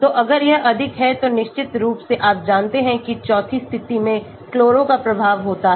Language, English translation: Hindi, so if it is more then of course you know that chloro in the fourth position has an effect